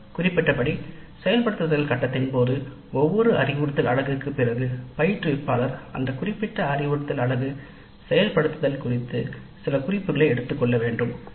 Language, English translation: Tamil, As we noted during implementation phase, after every instructional unit the instructor must make some notes regarding that particular instruction units implementation